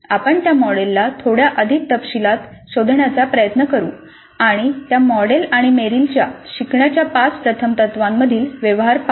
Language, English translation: Marathi, We will try to explore that model in a little bit more detail and see the correspondence between that model and Merrill's five first principles of learning